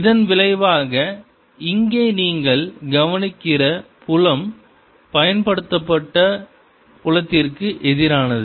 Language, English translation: Tamil, as a consequence, what you notice outside here the field is opposite to the applied field